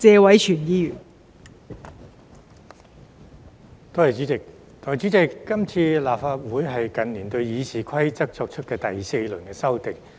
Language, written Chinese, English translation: Cantonese, 代理主席，這次是立法會近年對《議事規則》作出的第四輪修訂。, Deputy President this is the fourth round of amendments to the Rules of Procedure made by the Legislative Council in recent years